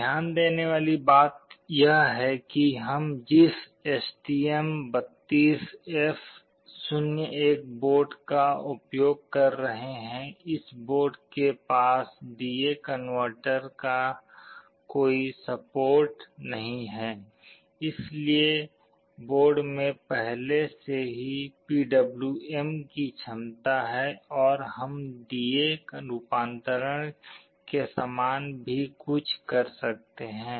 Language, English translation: Hindi, The point to note is that for the STM32F01 board that we are using, this board does not have any support for D/A converter, but I told you the board already has PWM capability and using PWM also we can do something which is very much similar to D/A conversion